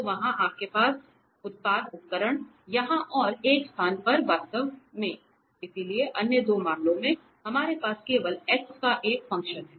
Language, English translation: Hindi, So, there you have the product tools here and at one place actually, so other two cases, we have only one function as a function of x